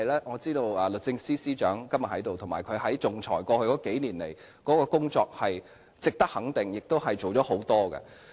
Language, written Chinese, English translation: Cantonese, 我知道律政司司長今天在席，過去數年他在仲裁方面做了很多工作，值得予以肯定。, I am aware that the Secretary for Justice is present today . He has done a lot of work on arbitration over the past few years and his efforts are praiseworthy